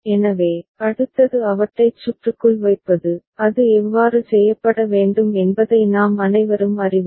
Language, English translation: Tamil, So, next is putting them into the circuit right that we all know how it is to be done